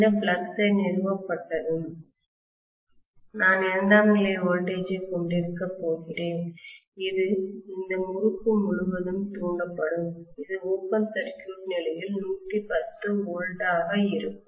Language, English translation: Tamil, When this flux is established, I am going to have the secondary voltage which will be induced across this winding which will amount to 110 volts on open circuit condition